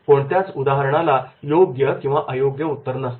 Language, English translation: Marathi, No case studies has a clear cut right or wrong answer